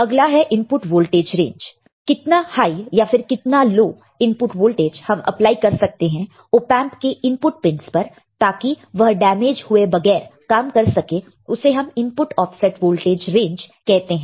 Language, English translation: Hindi, Now, input voltage range high how high or low voltage the input pins can be applied before Op amp does not function properly there is called input offset voltage ranges